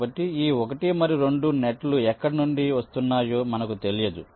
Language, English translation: Telugu, so we do not know exactly from where this one and two nets are coming